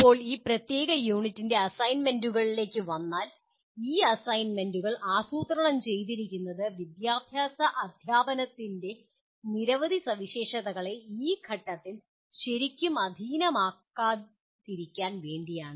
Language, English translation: Malayalam, Now coming to the assignments of this particular unit, these assignments are planned only to sensitize to the many features of educational teaching not really to master them at this stage